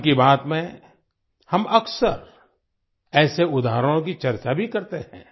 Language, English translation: Hindi, In 'Mann Ki Baat', we often discuss such examples